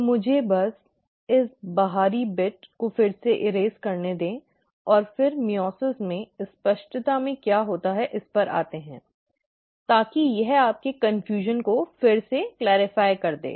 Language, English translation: Hindi, So let me just erase this outer bit again, and then come back to what happens in meiosis a little more in clarity, so that it clarifies your confusion again